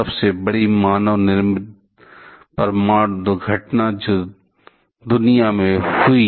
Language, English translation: Hindi, The biggest manmade nuclear incident, that happened in the world